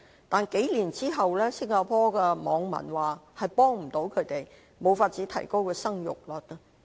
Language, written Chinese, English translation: Cantonese, 但是，數年之後，新加坡的網民說幫不到他們，無法提高生育率。, However after the scheme has been implemented for a few years netizens of Singapore say that the scheme is not helpful and it fails to increase the fertility rate